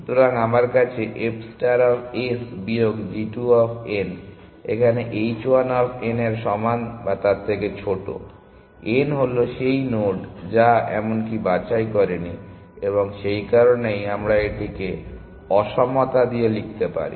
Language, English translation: Bengali, So, I have this f star of s minus g 2 of n is less than equal to h 1 of n, n is that node, which even did not pick and that is why we could write this in equality